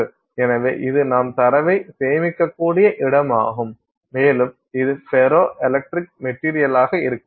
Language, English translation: Tamil, So, that is a place where you can store data and maybe ferroelectric materials can be used with respect to that